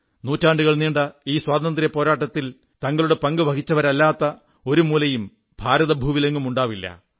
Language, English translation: Malayalam, There must've been hardly any part of India, which did not produce someone who contributed in the long freedom struggle,that spanned centuries